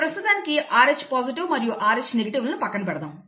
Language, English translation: Telugu, And of course Rh positive, Rh negative, we will leave that aside for the time being